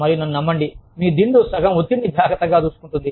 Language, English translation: Telugu, And, trust me, your pillow takes care of, half the stress, there and then